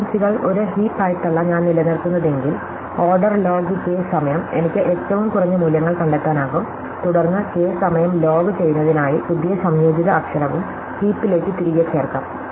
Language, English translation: Malayalam, So, if I maintain the frequencies not as a simple list or array, but as a heap, then in order log k time, I can find the minimum values and then I can insert back the new composite letter also into heap in to log k time